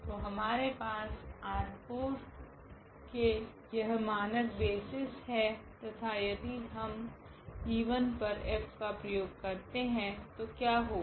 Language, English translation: Hindi, So, we have these standard basis from R 4 and now F if we apply on this e 1 here